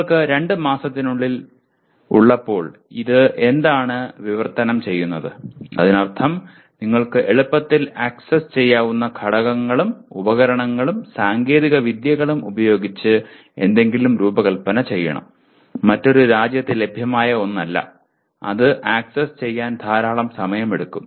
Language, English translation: Malayalam, What does it translate to when you have within two months, which means you have to design something with components and devices and technologies that are readily accessible, not necessarily something that is available in another country, it will take lot of time to access that